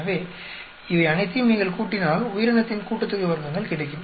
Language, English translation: Tamil, So, if you add up all these you will get the organism sum of squares